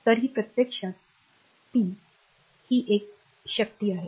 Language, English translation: Marathi, So, this is actually p is a power